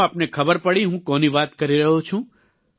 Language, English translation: Gujarati, Did you come to know who am I referring to